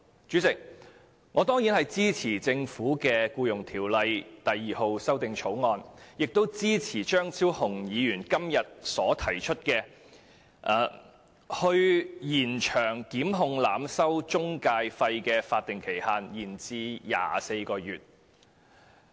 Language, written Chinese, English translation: Cantonese, 主席，我當然支持政府的《條例草案》，亦支持張超雄議員今天提出的修正案，將檢控濫收中介費的法定時效限制延長至24個月。, Chairman I certainly support the Bill introduced by the Government and the amendment proposed by Dr Fernando CHEUNG today with the latter extending the statutory time limit for prosecution of overcharging of intermediary charges to 24 months